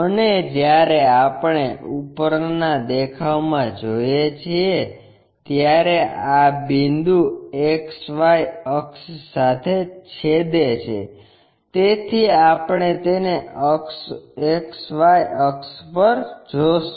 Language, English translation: Gujarati, And when we are looking from top view, this point is intersecting with XY axis, so we will see it on XY axis